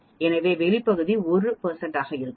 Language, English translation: Tamil, So outside area will be 1 percent